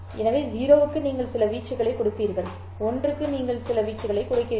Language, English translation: Tamil, So, for 0 you give some amplitude for 1, you give some amplitude